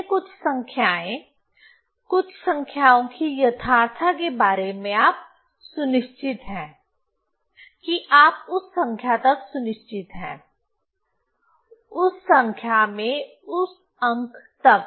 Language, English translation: Hindi, So, uh, uh, so this, so first few numbers about few numbers, you are sure about the correctness of that you are shared our up to that numbers, okay, up to that digits in that number